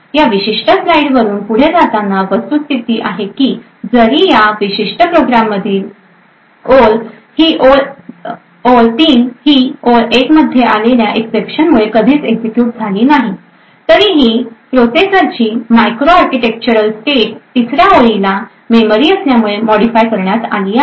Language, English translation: Marathi, The takeaway from this particular slide is the fact that even though this line 3 in this particular program has never been executed due to this exception that is raised in line 1, nevertheless the micro architectural state of the processor is modified by this third line by this memory access